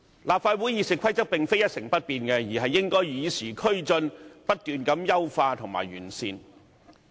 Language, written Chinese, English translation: Cantonese, 立法會《議事規則》並非一成不變，而是應該與時並進，不斷優化及完善。, The Rules of Procedure of the Legislative Council are not immutable but should be kept abreast of the times and constantly improved and enhanced